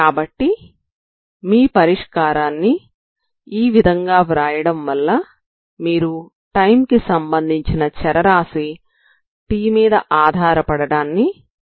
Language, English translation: Telugu, So by writing your solution like this you can remove this t time dependence